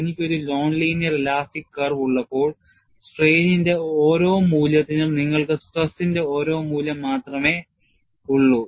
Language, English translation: Malayalam, When I have a non linear elastic curve, for every value of strain, you have only one value of stress; there is no difficulty at all